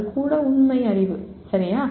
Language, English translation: Tamil, Even that is factual knowledge, okay